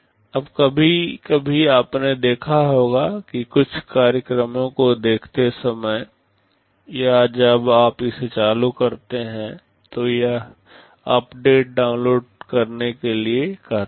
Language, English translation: Hindi, Now sometimes you may have noticed that while watching some programs or when you are switching it on, it says downloading updates